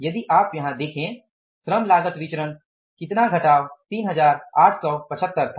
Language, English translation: Hindi, If you see the labor cost variance was what minus 3875